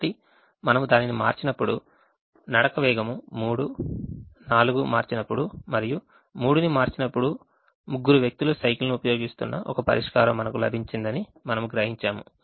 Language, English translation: Telugu, so when we change little, we observe that the when we change the walking speed three, four and three we got a solution where all the three people are using the bicycle